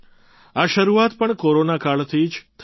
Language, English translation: Gujarati, This endeavour also began in the Corona period itself